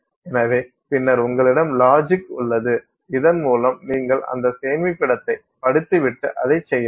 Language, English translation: Tamil, So, and then you have some logic by which you read that storage and then do something with it